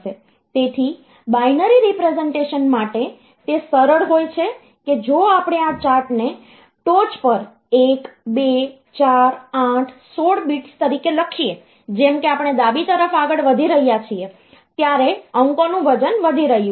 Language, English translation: Gujarati, So, if I, for binary representation it is easy if you just write down this chart on top 1, 2, 4, 8, 16 as the bits, as we are proceeding towards the left, the weight of the digits are increasing